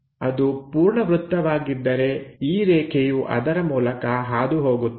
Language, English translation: Kannada, If this is the complete circle, this line pass through that